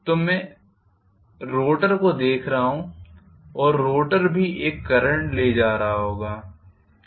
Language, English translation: Hindi, So, I am looking at the rotor and the rotor might also carry a current